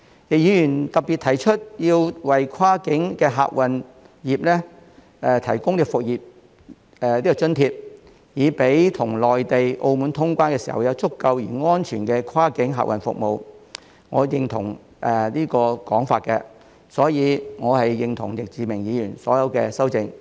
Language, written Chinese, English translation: Cantonese, 易議員特別提到要為跨境客運業提供"復業津貼"，讓我們與內地、澳門通關時，有足夠而安全的跨境客運服務，我認同這個說法，所以我是認同易志明議員的所有修訂。, Mr YICK has particularly mentioned the provision of a business resumption allowance for the cross - boundary passenger service sector so that we can have adequate and safe cross - boundary passenger services when cross - boundary travel with the Mainland and Macao is resumed . I agree with this point so I agree with all the proposals in Mr Frankie YICKs amendment